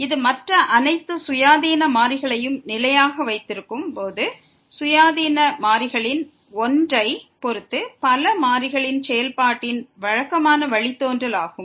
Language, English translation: Tamil, It is a usual derivative of a function of several variables with respect to one of the independent variable while keeping all other independent variables as constant